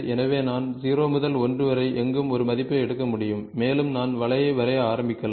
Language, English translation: Tamil, So, I can take a value from 0 to 1 anywhere and I can start drawing the curve